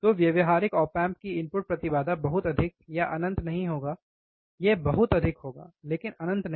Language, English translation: Hindi, So, practical op amp again input impedance would be not extremely high or not in finite, it would be extremely high, right not infinite